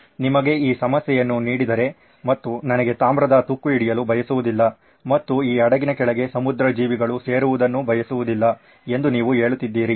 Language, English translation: Kannada, If you were given this problem and you would have said I want no copper corrosion and I do not want marine life on this ship